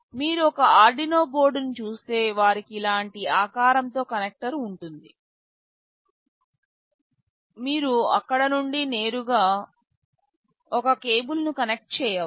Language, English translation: Telugu, If you look at an Arduino board they will have a connector with an exact shape like this, you can connect a cable from there directly to this